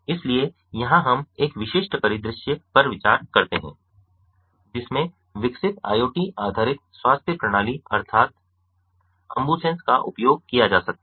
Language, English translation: Hindi, so here we consider a typical scenario in which the developed iot based healthcare system, namely ambusens, maybe used